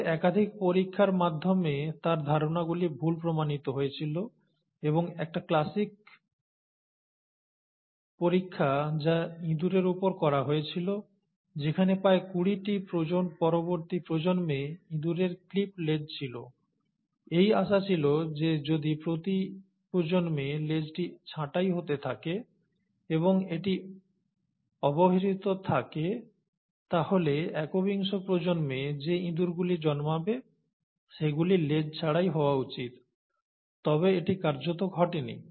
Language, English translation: Bengali, But, his ideas were later disproved through multiple experiments and one classic experiment was the experiment which was done on mice, where for about twenty subsequent generations, the tail of the mice were clipped, in the hope that if the tail is being clipped every generation, and it's of no use, then, by the twenty first generation in mice, the mice which will be born in the twenty first generation should be without tails, but that essentially didn’t happen